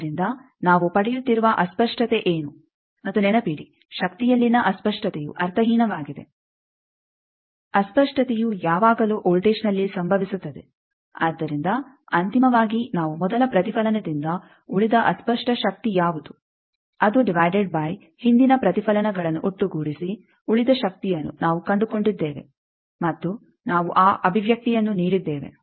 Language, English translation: Kannada, So, what is that distortion we are getting and remember that distortion in power it is meaningless distortion always happens in the voltage, so ultimately we have found that what is the distortion power remained on first reflection, divided by power remained due to sum of past reflections and that expression we have given